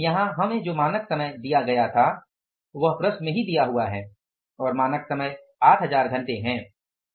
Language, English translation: Hindi, Standard time here given to us was it is given in the problem itself and the standard time is 8,000 hours